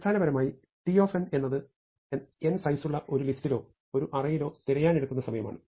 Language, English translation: Malayalam, So, the base case is that when we have T of n we mean the time taken to search in a list or an array actually of size n